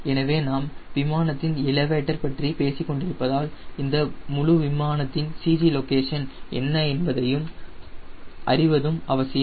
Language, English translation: Tamil, since we are talking about elevator, it is important to know that where is the c g location of this whole aeroplane